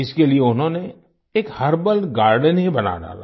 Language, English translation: Hindi, For this he went to the extent of creating a herbal garden